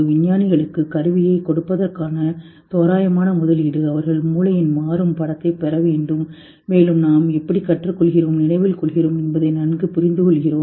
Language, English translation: Tamil, Approximate investment to give scientists the tool, they need to get a dynamic picture of brain and better understand how we think, learn and remember